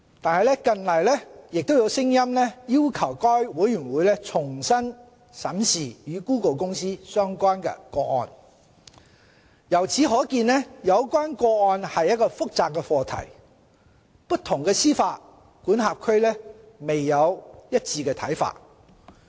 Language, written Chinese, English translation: Cantonese, 然而，近來亦有聲音要求該委員會重新審視與谷歌公司相關的個案。由此可見，有關個案是一個複雜的課題，不同的司法管轄區未有一致的看法。, Nevertheless there have recently been calls for USFTC to re - examine the case concerning Google Inc As seen from the above the matter is complicated and there is no consistent view across jurisdictions